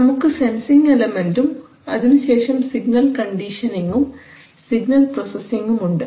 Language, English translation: Malayalam, So we have a sensing element now after the sensing element we have signal conditioning and processing